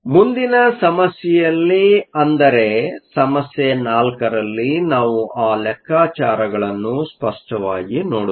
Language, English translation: Kannada, In the next problem, In problem 4, we will look at those calculations explicitly